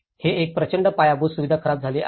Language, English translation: Marathi, This is a huge infrastructure has been damaged